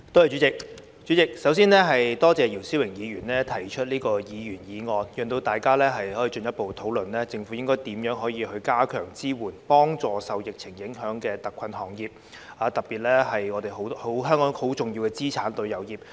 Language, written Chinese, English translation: Cantonese, 主席，我首先感謝姚思榮議員提出這項議員議案，讓大家可以進一步討論政府應該如何加強支援，以協助受疫情影響的特困行業，特別是香港很重要的資產旅遊業。, President first of all I thank Mr YIU Si - wing for proposing this Members Motion for it enables us to further discuss what the Government should do to provide greater support and assistance for the hard - hit industries especially the tourism industry which is a most important asset of Hong Kong